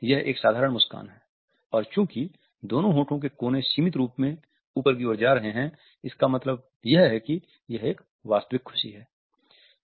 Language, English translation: Hindi, It is a simple smile and because the two lip corners go upwards symmetrically, it means that it is a genuine happiness